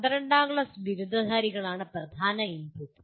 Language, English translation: Malayalam, And the main input is graduates of 12th standard